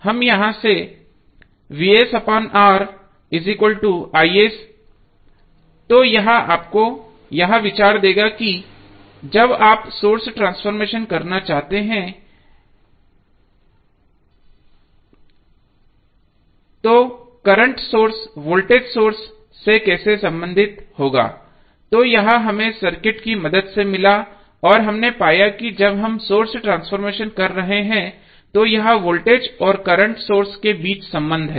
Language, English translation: Hindi, So what we get from here we get from here is nothing but Vs by R equal to is so, this will give you the idea that when you want to do the source transformation how the current source would be related to voltage source, so this we got with the help of circuit and now we found that this is the relationship between voltage and current sources when we are doing the source transformation